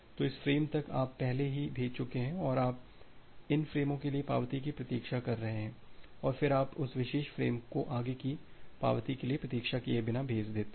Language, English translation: Hindi, So, up to this frame you have already sent and you are waiting for the acknowledgement for these frames and then you can send this particular frame further without waiting for anymore acknowledgement